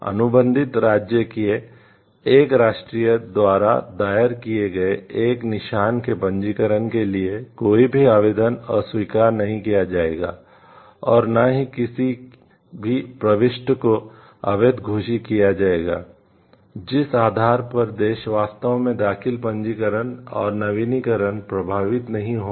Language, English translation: Hindi, No application for the registration of a mark filed by a national of a contracting state may be refused nor may be a registration being invalidated on the ground that the filing or registration and renewal has not been affected in the country of origin